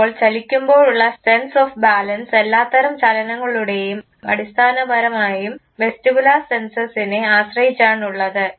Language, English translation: Malayalam, So, the sense of balance during movement all types of movement is basically dependent on the vestibular senses